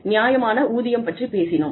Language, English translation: Tamil, We talked about, fair pay